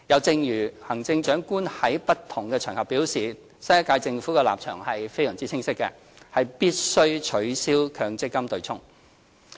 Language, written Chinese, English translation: Cantonese, 正如行政長官在不同場合表示，新一屆政府立場非常清晰，必須取消強積金對沖。, As remarked by the Chief Executive in numerous occasions the new Government is explicit about abolishing the MPF offsetting arrangement